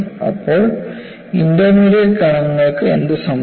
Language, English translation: Malayalam, Then, what happens to intermediate particles